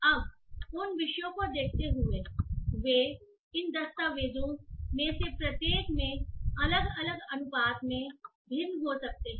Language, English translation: Hindi, Now given those topics they can be varying in different proportions in each of these document